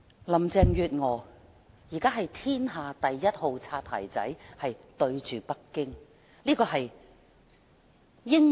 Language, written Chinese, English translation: Cantonese, 林鄭月娥現在是天下第一號"擦鞋仔"——對北京。, Carrie LAM is now the Number One Bootlicker in the world―to Beijing